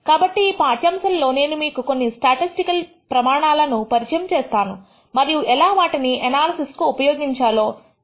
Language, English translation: Telugu, So, in this lecture I will introduce you to a few measures statistical measures and how they are used in analysis